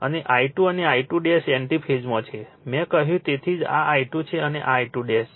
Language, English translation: Gujarati, And I 2 and I 2 dash are in anti phase I told you that is why this is I 2 and this is your I 2 dash